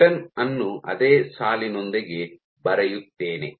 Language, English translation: Kannada, Let me draw the return with the same line